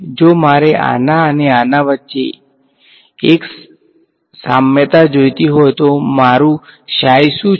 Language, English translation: Gujarati, If I want to do a draw one to one analogy between this guy and this guy what is my psi